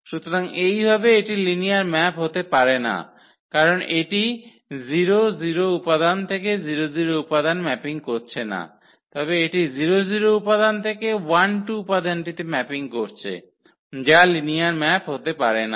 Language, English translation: Bengali, So, in this way this cannot be a linear map because it is not mapping 0 0 element to 0 0 element, but it is mapping 0 0 element to 1 2 element which cannot be a linear map